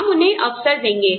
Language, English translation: Hindi, We will give them opportunities